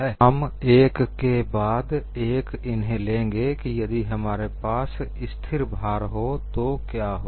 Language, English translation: Hindi, And we will take up one after another, what happens when I have a constant load